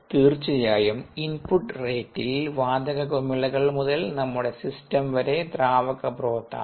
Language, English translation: Malayalam, there is, of course, in input rate, which is from the gas bubbles to our system, which is the liquid broth